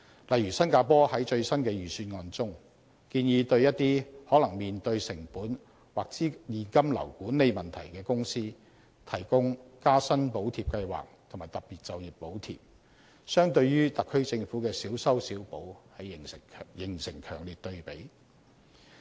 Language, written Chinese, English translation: Cantonese, 例如新加坡在最新的預算案中，建議對一些可能面對成本或現金流管理問題的公司提供"加薪補貼計劃"和"特別就業補貼"，相對於特區政府的小修小補形成強烈對比。, For instance it is proposed in Singapores latest budget that companies which are likely to have cost or cash flow management problems will receive the help of the Wage Credit Scheme and Special Employment Credit